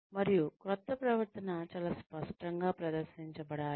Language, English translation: Telugu, And, the new behavior should be very clearly displayed